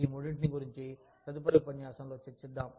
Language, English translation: Telugu, We will deal, with these three, in the next lecture